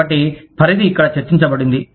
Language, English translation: Telugu, So, the range is discussed here